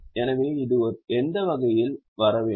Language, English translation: Tamil, So, it should fall in which category